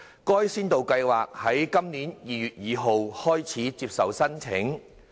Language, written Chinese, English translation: Cantonese, 該先導計劃於今年2月2日開始接受申請。, The pilot scheme was open to applications on 2 February this year